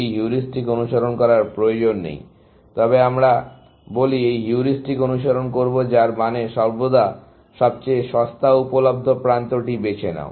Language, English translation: Bengali, It is not necessary to follow this heuristic, but let us say, we will follow this heuristic, which means, always pick the cheapest available edge